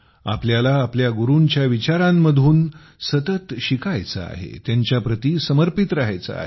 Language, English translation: Marathi, We have to continuously learn from the teachings of our Gurus and remain devoted to them